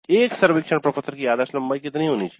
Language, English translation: Hindi, What should be the ideal length of a survey form